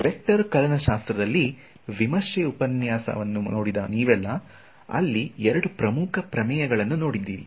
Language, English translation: Kannada, Now those of you who saw the review lecture on a vector calculus, there were two very important theorems